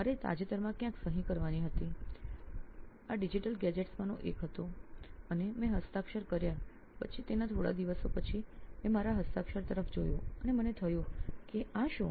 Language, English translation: Gujarati, I recently had to sign somewhere okay one of this digital gadgets and I signed after few days I looked back at my signature and I was like what